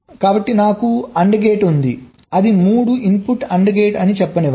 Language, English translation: Telugu, so if i have an and gate, let say its a three input and gate